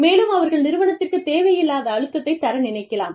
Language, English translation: Tamil, They could put, unnecessary pressure, on the organization